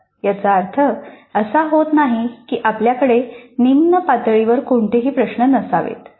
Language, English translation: Marathi, Now this is not imply that we should not have any questions at lower levels